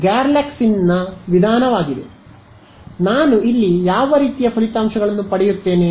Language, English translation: Kannada, So, what kind of results do I get over here